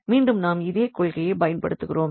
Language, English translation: Tamil, So, here again we will apply the same principle